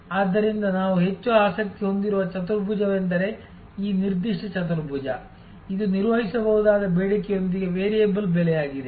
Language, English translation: Kannada, So, the quadrant we are most interested in is this particular quadrant, which is variable price with predictable demand